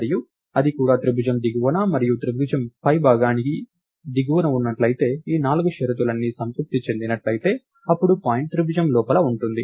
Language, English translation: Telugu, And if it also happens to be above the bottom of the triangle and below the top of the triangle, if all these four conditions are satisfied, then the point is within the triangle